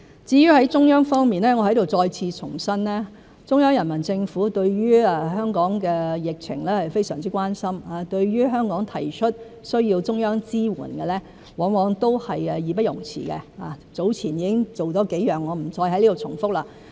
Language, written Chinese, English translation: Cantonese, 至於在中央方面，我在此再次重申，中央人民政府對於香港的疫情是非常關心，對於香港提出需要中央支援，往往都是義不容辭，早前已經做了幾項工作，我不再在此重複。, As regards the Central Authorities I would like to reiterate here that the Central Peoples Government is very concerned about the epidemic in Hong Kong and will always accede to the request for the Central Authorities support made by Hong Kong . A number of tasks had been accomplished already and I will not repeat them here